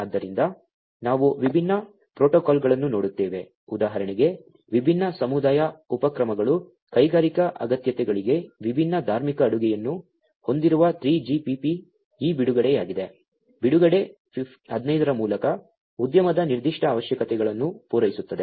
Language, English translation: Kannada, So, we will look at different protocols there have been different community initiatives for example, the 3GPP which has different religious you know catering to industrial requirements is this release 15, release 15 basically caters to the industry specific requirements